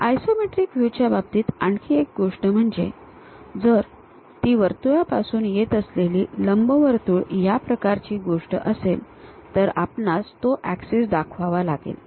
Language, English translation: Marathi, One more thing for these isometric views, if it is something like coming from circle and ellipse kind of thing we show those axis